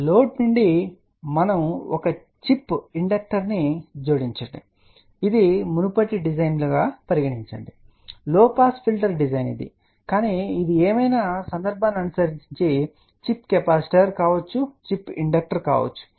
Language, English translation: Telugu, So, from the load we have to addlet us say a chip inductor this is the previous design, this is that a low pass filter design, but it can be chip capacitor this can be chip inductor depending upon whatever the case may be